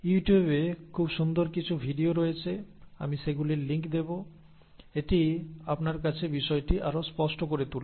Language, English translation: Bengali, There are some very nice videos on you tube, I will give you links to those, it will make it even clearer to you